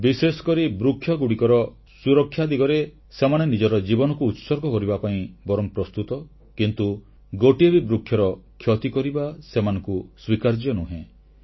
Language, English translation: Odia, Specially, in the context of serving trees, they prefer laying down their lives but cannot tolerate any harm to a single tree